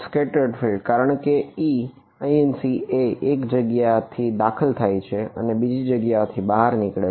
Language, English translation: Gujarati, Scatter field because e incident will enter from one place and exit from another place